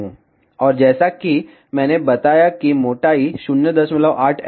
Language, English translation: Hindi, And as I told the thickness is 0